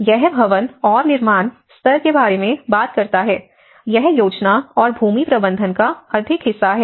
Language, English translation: Hindi, It talks about the building and construction level; this is more of a planning and land management